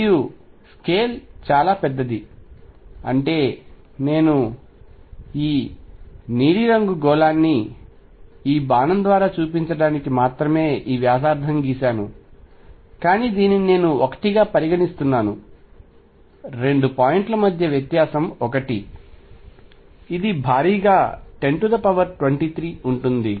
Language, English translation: Telugu, And the scale is huge I mean I made this blue sphere to be radius only to shown by this arrow, but consider this I am considering to be 1, difference between 2 points to be 1, this is going to be huge 10 raise to 20 3